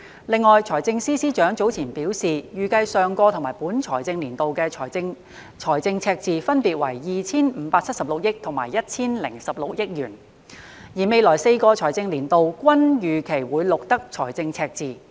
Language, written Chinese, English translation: Cantonese, 另外，財政司司長早前表示，預計上個及本財政年度的政府財政赤字分別為 2,576 億和 1,016 億元，而未來4個財政年度均預期會錄得財政赤字。, On the other hand the Financial Secretary indicated earlier that the Governments fiscal deficits for the last and the current financial years were projected to be 257.6 billion and 101.6 billion respectively and fiscal deficits are also expected to be recorded in the coming four financial years